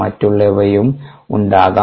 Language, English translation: Malayalam, they could be others